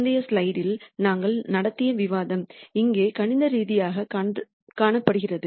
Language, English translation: Tamil, The discussion that we had in the previous slide is seen here mathematically